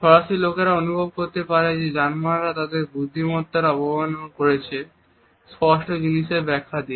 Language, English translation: Bengali, French people can feel that Germans insult their intelligence by explaining the obvious